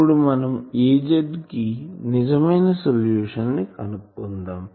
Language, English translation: Telugu, So, we can now find that actual solution is Az is what